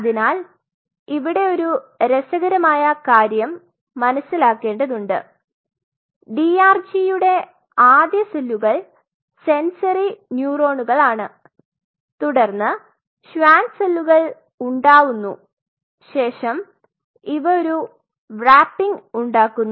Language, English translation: Malayalam, So, here one interesting thing one has to realize that the first neuron we first cells on the DRG is are form are the sensory neurons followed by once the sensory neurons are formed simultaneously the Schwann cells are formed and they form the wrapping